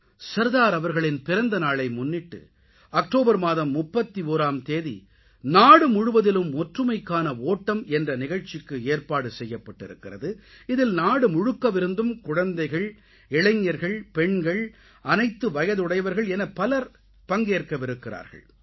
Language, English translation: Tamil, On the occasion of the birth anniversary of Sardar Sahab, Run for Unity will be organized throughout the country, which will see the participation of children, youth, women, in fact people of all age groups